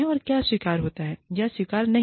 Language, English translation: Hindi, And, what will be acceptable